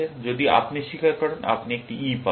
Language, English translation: Bengali, If you confess, you get an E